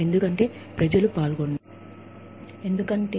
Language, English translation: Telugu, Because, people are involved